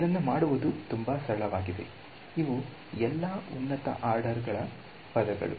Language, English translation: Kannada, So, this is again very simple to do, all these higher order terms ok